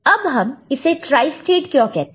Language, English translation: Hindi, Now why it is called tristate